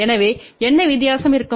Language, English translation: Tamil, So, the what will be the difference